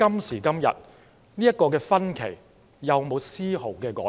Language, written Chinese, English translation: Cantonese, 時至今日，這個分歧有否絲毫改變？, Up till now is there any change in this divergence?